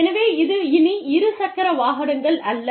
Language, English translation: Tamil, So, it is no longer, two wheelers